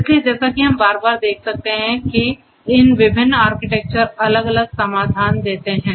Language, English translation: Hindi, So, as we can see a time and again that for these different architectures different solution